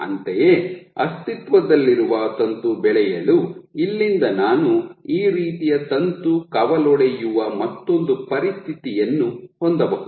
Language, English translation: Kannada, Similarly, from here for the existing filament to grow I can have another situation where a filament branches like this